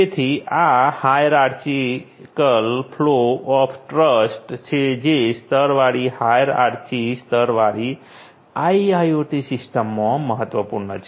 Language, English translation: Gujarati, So, this is this hierarchical flow of trust that is important in a layered hierarchical layered IIoT system